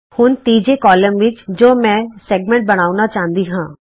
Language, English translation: Punjabi, Now In the third column if i want to create the line segment